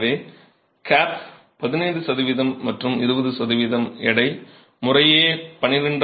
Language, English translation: Tamil, So, the cap is 15 percent and 20 percent by weight up to 12